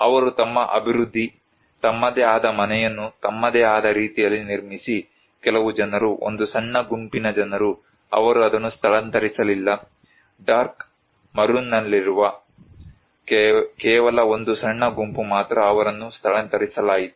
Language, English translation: Kannada, They developed their; build their own house in their own, some people only a minor group of people, they did not relocate it, only a minor group in dark maroon, they were relocated